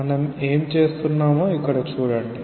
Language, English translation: Telugu, See here what we are doing